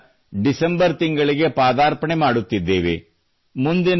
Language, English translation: Kannada, we are now entering the month of December